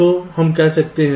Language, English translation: Hindi, so lets say so